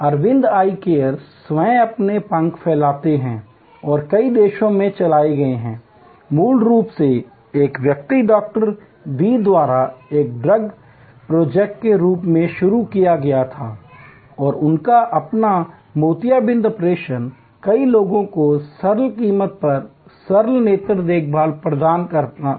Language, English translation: Hindi, Aravind Eye Care themselves are spread their wings and gone to many countries, originally started as a dream project by one individual Doctor V and his dream was to provide cataract operation and simple eye care to many people at a fordable price